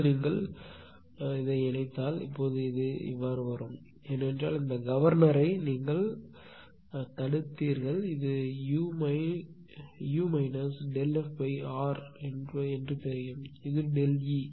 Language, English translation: Tamil, Now if you combine ; now, it will be like this because this block this governor one you got it know u minus del f R upon ah this one this is delta E